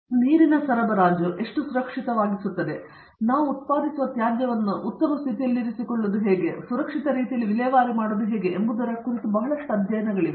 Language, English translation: Kannada, So, there is a lot of lot of studies being done on how to make a water supply safer and how to make sure that the waste that we generate is treated well and disposed off in safe conditions